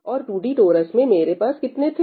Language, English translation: Hindi, And in the 2D torus, what do I have